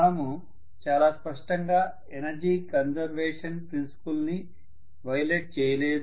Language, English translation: Telugu, We are not violating energy conservation principle, very clearly